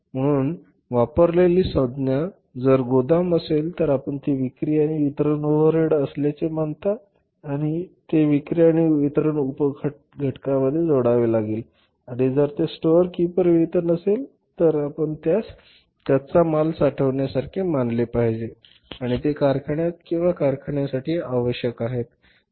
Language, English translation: Marathi, So, if the term used is warehouse you consider that it is a selling and distribution overhead and it has to be added in the selling and distribution sub component and if it is storekeeper wages then you have to consider it as a raw material storing part and that is required in the factory or for the factory